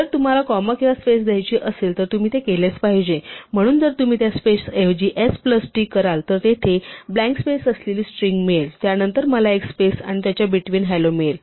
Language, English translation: Marathi, If you want to put a comma or a space you must do that, so if you say t instead of that was space there t is the string consisting of blank space followed by there, now if I say s plus t, I get a space between hello and there